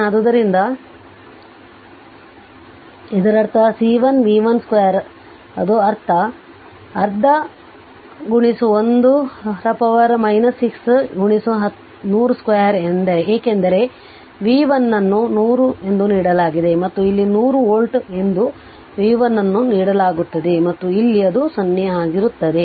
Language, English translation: Kannada, So, for this one it will be half C 1 v 1 square right that is half into 10 to the power minus 6 into 100 square because v 1 is 100 given and here it is here it is 100 volt is given that v 1 and here it is 0 right